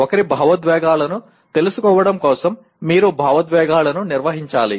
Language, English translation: Telugu, Knowing one’s emotions you have to manage the emotions